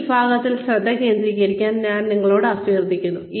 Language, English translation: Malayalam, This section, I would really urge you to, focus on